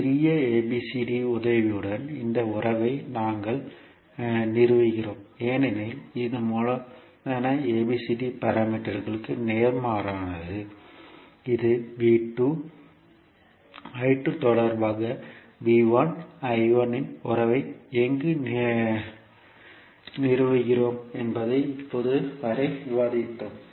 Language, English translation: Tamil, So we stabilise this relationship with the help of small abcd because it is opposite to the capital ABCD parameter which we have discussed till now where we stabilise the relationship of V 1 I 1 with respect to V 2 I 2